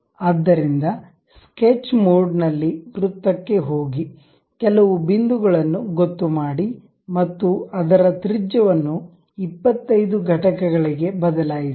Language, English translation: Kannada, So, in the sketch mode go to a circle locate some point and change its radius to 25 units